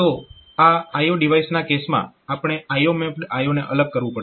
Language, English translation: Gujarati, So, in that case for I O devices, we have we have to separate I O mapped I O